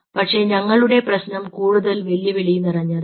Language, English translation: Malayalam, but our problem was even much more challenging